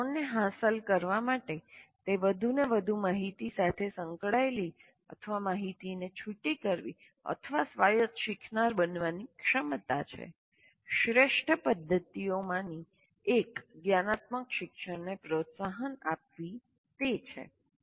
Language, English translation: Gujarati, And to achieve these three, that is ability to engage with increasingly more information or distal information or to become an autonomous learner, one of the best methods is fostering metacognition learning